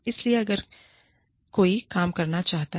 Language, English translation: Hindi, So, if somebody wants to work